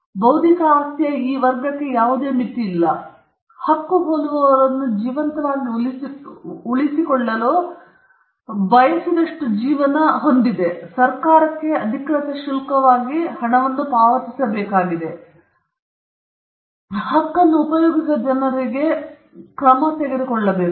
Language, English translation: Kannada, There is no limit to this category of intellectual property, because their life is as long as the right holder wants to keep them alive; he just needs to pay money to the government, as a official fee, and he also needs to take action against people who may use this right